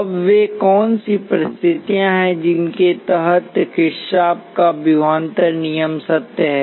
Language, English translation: Hindi, Now what are the conditions under which the Kirchhoff’s voltage law is true